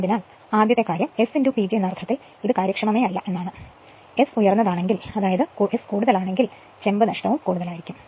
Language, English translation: Malayalam, So, it will be your what you call that inefficient in the sense first thing is your S into P G, if S is high that is copper loss S is high then copper loss will be more right